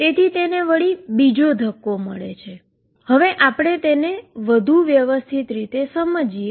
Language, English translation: Gujarati, So, it gets another kick, let us do it more systematically